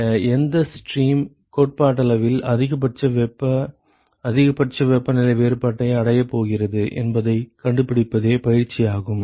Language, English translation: Tamil, So, the exercise is to find out which stream is going to theoretically achieve the maximal heat maximal temperature difference